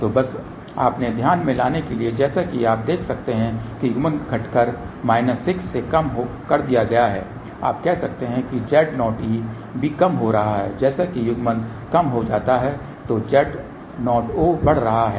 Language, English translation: Hindi, So, just to bring to your attention as you can see that coupling is reduced ok from minus 6 to this you can say Z o e is also reducing where as if the coupling reduces Z o o is increasing